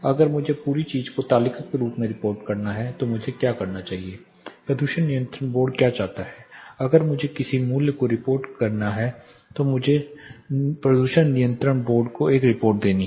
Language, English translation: Hindi, What do we do if I have to report the whole thing as table, what pollution control board wants if I have to report a value or if I have to submit a report to pollution control board